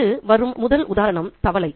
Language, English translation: Tamil, A very first example that occurs to me is the frog